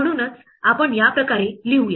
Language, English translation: Marathi, That is why we will write it this say